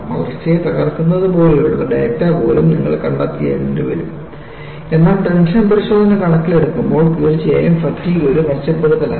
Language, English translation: Malayalam, Then you say that, you will have to find out even the data pertaining to crack growth, but considering the tension test, definitely fatigue was an improvement